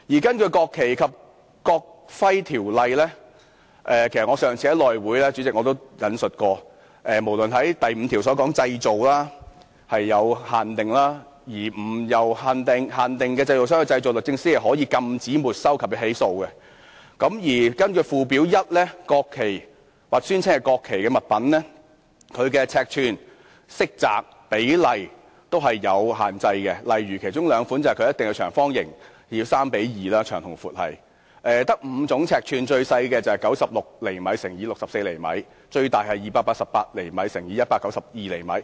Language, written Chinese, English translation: Cantonese, 根據《國旗及國徽條例》——主席，其實我上次在內務委員會會議上也引述過——第5條"國旗、國徽的製造受規管"，如果並非由限定的製造商製造，律政司可禁止、沒收及起訴；而根據附表 1， 國旗或宣稱為國旗的物品，其尺寸、色澤及比例均有限制，例如其中兩款一定要為長方形，其長與高為三與二之比；此外，只有5種尺寸，最小的是96厘米乘64厘米；最大是288厘米乘192厘米。, President as I have cited at an earlier meeting of the House Committee under section 5 Manufacture of national flag and national emblem regulated of the National Flag and National Emblem Ordinance the Department of Justice may prohibit and forfeit the flag and initiate prosecution if it is not manufactured by a designated manufacturer; and under Schedule 1 the measurements colour and proportions of the national flag or an article declared as a national flag are all specified . For example two of the specifications state that it must be rectangular; the proportions of its length and height shall be 3 to 2; in addition there shall be only five measurements the smallest being 96 cm in length 64 cm in height; the largest being 288 cm in length 192 cm in height